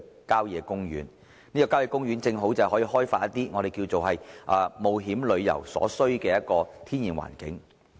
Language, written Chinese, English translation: Cantonese, 郊野公園提供了開發冒險旅遊所需的天然環境。, Country parks offer the natural environment for developing adventure tourism